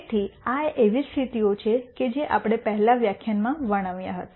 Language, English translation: Gujarati, So, these are the conditions that we described in the previous lecture